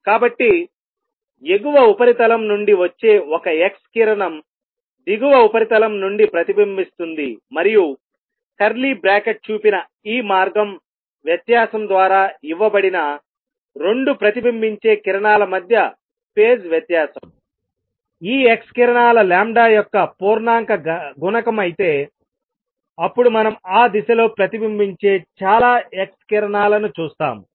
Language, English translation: Telugu, So, an x ray coming in gets reflected from the top surface gets reflected from the bottom surface and if the phase difference between the 2 reflected rays, which is given by this path difference shown by curly bracket is integer multiple of lambda of these x rays, then we would see lot of x rays reflected in that direction